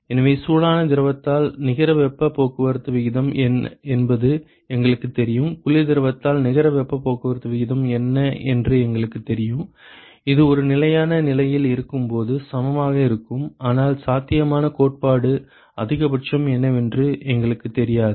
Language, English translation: Tamil, So, far all we know is what is the net heat transport rate in the hot fluid, we know what is the net heat transport rate in the cold fluid, which is equal when it is a steady state, but we do not know what is the theoretical maximum possible